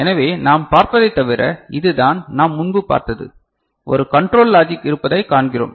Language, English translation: Tamil, So, other than that what we see, this is what we had seen before, what we see that there is a control logic block